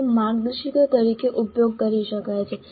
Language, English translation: Gujarati, They can be used as guidelines